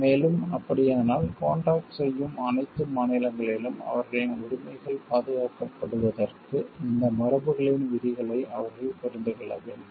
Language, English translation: Tamil, And in that case they need to understand the provisions of these conventions so that their rights can be protected in all the contracting states